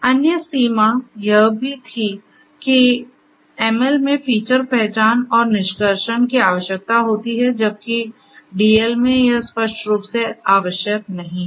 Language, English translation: Hindi, So, also the other limitation was that feature identification and extraction is required in ML whereas, it is not you know required explicitly in DL